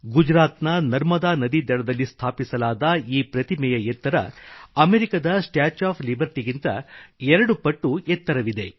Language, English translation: Kannada, Erected on the banks of river Narmada in Gujarat, the structure is twice the height of the Statue of Liberty